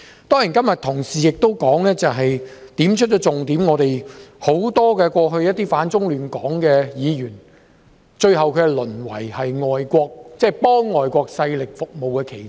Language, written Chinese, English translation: Cantonese, 當然，同事今天亦指出了重點，就是以往許多反中亂港的議員，最後淪為替外國勢力服務的棋子。, Of course Members have also made an important point today about the fact that many of those with the aim of opposing China and disrupting Hong Kong who used to sit on the Council had eventually reduced themselves to pawns in the service of foreign forces